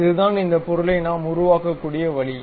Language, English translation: Tamil, This is the way we can create that object